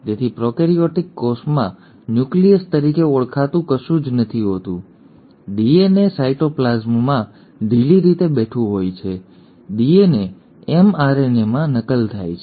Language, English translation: Gujarati, So in a prokaryotic cell, there is nothing called as nucleus, the DNA is loosely sitting in the cytoplasm; the DNA gets copied into an mRNA